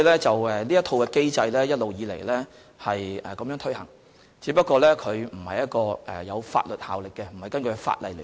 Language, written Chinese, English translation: Cantonese, 這套機制一直以來均按這原則執行，只是機制並不具有法律效力，並非根據法例來執行。, The mechanism has been implemented under this principle all along just that the mechanism has no legal effect and is not enforced in accordance with law